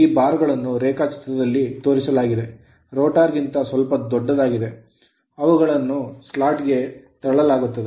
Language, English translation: Kannada, There the bar was showing in the diagram right, slightly larger than the rotor which are pushed into the slot